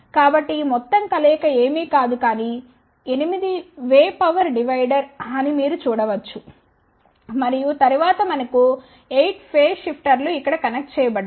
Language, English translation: Telugu, So, you can see that this entire combination is nothing, but 8 way power divider and then we have 8 phase shifters connected over here